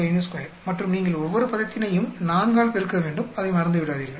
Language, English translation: Tamil, 45 square, and you have to multiply by 4 each term, do not forget that